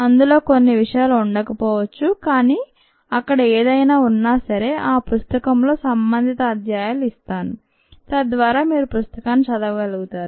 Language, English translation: Telugu, some of the material may not be there, but ah, whatever is there, i will give you the corresponding chapters in the books so that you can go on read the book